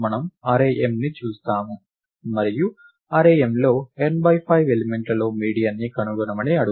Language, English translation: Telugu, We look at the array m and ask for the median of the n by 5 elements in the array M